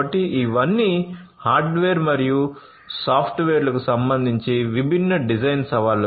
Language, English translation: Telugu, So, all of these are different design challenges with respect to hardware and software